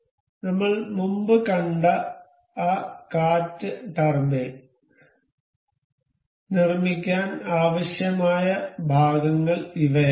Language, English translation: Malayalam, So, these are the parts that were required to build that wind turbine that we have seen earlier